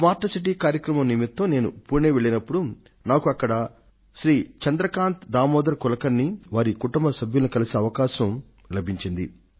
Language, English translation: Telugu, Yesterday when I went to Pune for the Smart City programme, over there I got the chance to meet Shri Chandrakant Damodar Kulkarni and his family